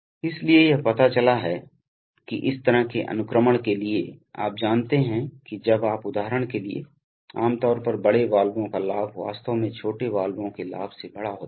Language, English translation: Hindi, So and it turns out that for such sequencing, you know when you for example, typically the gain of large valves will be actually larger than the gain of small valves